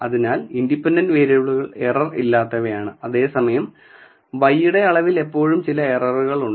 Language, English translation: Malayalam, So, independent variables are free of errors whereas, there is always some error present in the measurement of y